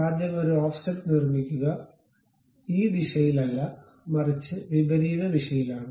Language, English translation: Malayalam, First construct an offset not in this direction, but in the reverse direction